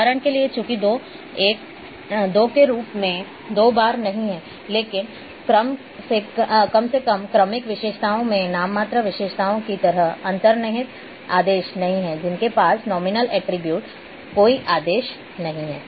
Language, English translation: Hindi, For examples since not two is not twice as much as anything as one, but at least ordinal attributes have inherent order not like nominal attributes which do not have any order